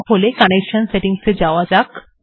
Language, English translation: Bengali, Connection settings have to be set first